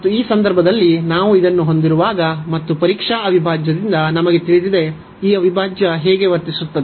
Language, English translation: Kannada, And in this case when we have this so and we know about from the test integral, how this integral behaves